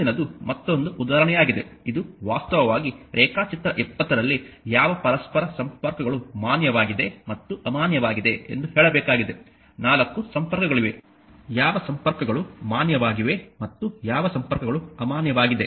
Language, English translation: Kannada, Next is another example now this is actually state which interconnects in figure 20 are valid and which are invalid you have to tell, there are 4 connections that which connections are valid and which connections are in connections are invalid